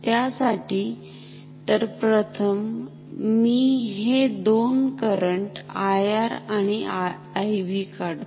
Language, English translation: Marathi, So, for that; so let me first draw the two currents I R and I B ok